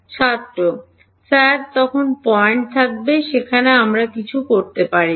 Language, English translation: Bengali, Sir then there will be points where we cannot do anything